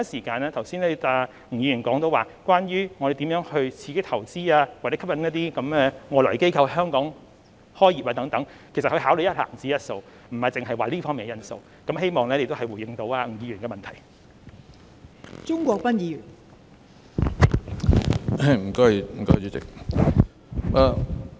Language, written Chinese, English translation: Cantonese, 剛才吳議員提到我們如何刺激投資或吸引外來機構在香港開業等，其實他們會考慮一籃子的因素，並不單單考慮這方面的因素，希望這亦能回應吳議員的補充質詢。, Just now Mr NG mentioned how we should stimulate or attract foreign companies to start their business here . In fact they will not consider this factor alone . They will consider a basket of factors